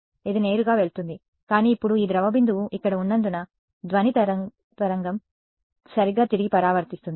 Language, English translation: Telugu, It would just go straight through and through, but now because this blob is here sound wave gets reflected back right